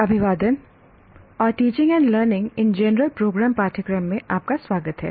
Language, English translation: Hindi, Greetings and welcome to the course teaching and learning in general programs